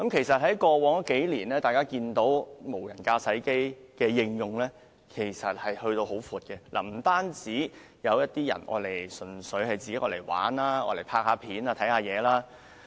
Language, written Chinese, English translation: Cantonese, 在過去數年，大家看到無人駕駛飛機已被廣泛應用，有人純粹用作玩樂、拍攝影片或觀看景物。, People can notice the extensive use of unmanned aircraft over the past few years . Some people purely use them for leisure filming video clips or viewing sceneries . Besides the movie production industry also requires aerial videography technologies